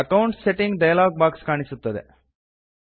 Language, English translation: Kannada, The Accounts Settings dialog box appears